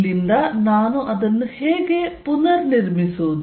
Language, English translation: Kannada, How do I build it up from here